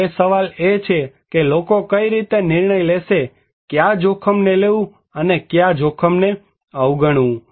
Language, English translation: Gujarati, Now, the question is, how then do people decide which risk to take and which risk to ignore